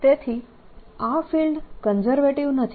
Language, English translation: Gujarati, so this field is not conservative